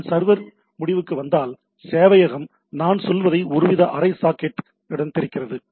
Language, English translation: Tamil, So server opens up a what we say some sort of a half socket, right